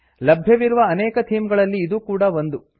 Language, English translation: Kannada, This is one of many themes available on this page